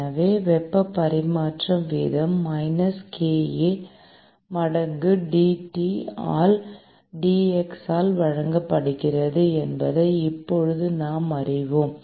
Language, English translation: Tamil, So, now we know that heat transfer rate is given by minus kA times dT by dx